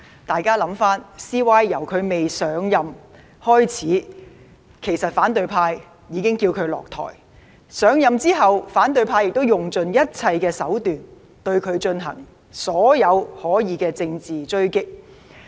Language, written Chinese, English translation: Cantonese, 大家回想一下，其實 CY 由未上任開始，反對派已叫他下台，而上任後反對派亦用盡一切手段，對他進行所有可能的政治追擊。, Members should recall that actually long before LEUNG Chun - ying assumed his office the opposition had urged him to step down . After LEUNG Chun - ying assumed his office as the Chief Executive the opposition had been trying every possible means to attack him politically